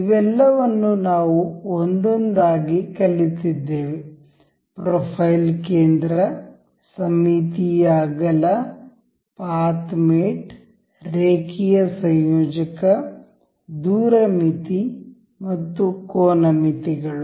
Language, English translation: Kannada, We have covered all of these one by one; the profile center, the symmetric width, path mate, linear coupler, distance limit and angle limits